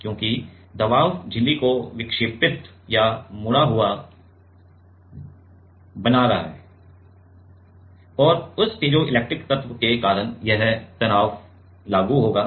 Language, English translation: Hindi, Because, the pressure is making the membrane to deflect or bent and because of that piezoelectric element this stress will be applied